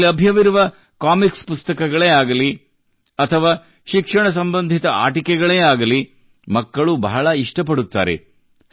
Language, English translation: Kannada, Whether it is comic books or educational toys present here, children are very fond of them